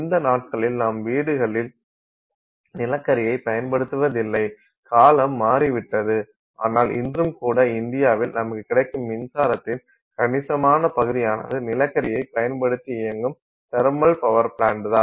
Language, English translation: Tamil, I mean these days we don't use coal in our houses, that time frame is gone but even today for example in India's significant fraction of the electricity we get is because of thermal power plants which are running off of coal